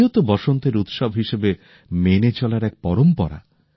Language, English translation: Bengali, Holi too is a tradition to celebrate Basant, spring as a festival